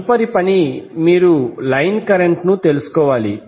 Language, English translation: Telugu, Next task is you need to find out the line current